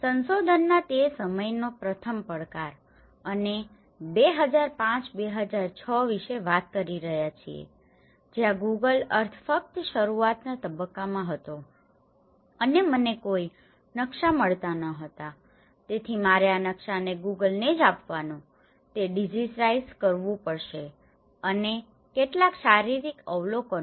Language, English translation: Gujarati, The first challenge in that time of research we are talking about 2005 2006 where the Google Earth was just in the beginning stages and I was not getting any Maps, so I have to digitize these maps whatever the Google Earth have to give me and some physical observations